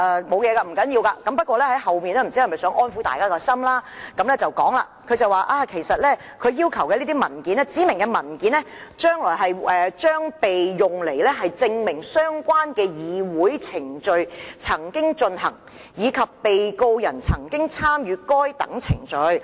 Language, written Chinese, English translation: Cantonese, 這些都不要緊，但律政司在信件較後部分似乎想安撫大家，並提到："指明文件將被用來證明相關的議會程序曾經進行，以及被告人曾經參與該等程序。, Those are some of the matters mentioned in the documents and they are quite okay . But towards the end of the letter DoJ seemingly wants to pacify Members by stating that The specified documents will be used to prove that the relevant parliamentary proceedings took place and that the Defendant participated in the proceedings